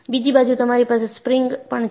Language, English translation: Gujarati, On the other hand, you have springs